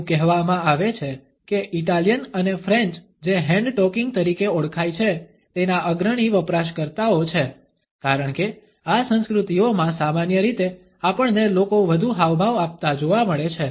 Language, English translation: Gujarati, It is said that Italians and the French are the leading users of what has come to be known as hand talking, because in these cultures normally we find people gesticulating more